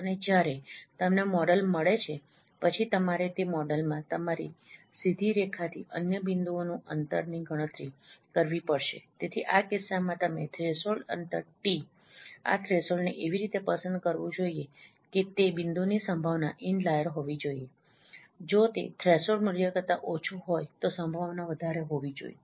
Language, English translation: Gujarati, And once you get a model then you have to compute the distance from that model distance of other points from your straight line so distance threshold t in this case you should choose this threshold in such a way that probability of that point should be in layer if it is less than that threshold value that probability probability should be high